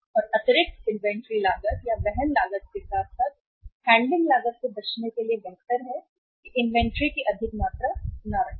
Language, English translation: Hindi, And to avoid the additional inventory cost or the carrying cost as well as the handling cost it is better not to keep the high amount of inventory